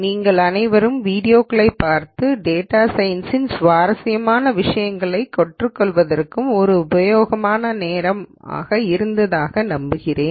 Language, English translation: Tamil, I hope all of you had a productive time looking through the videos and learning interesting ideas in data science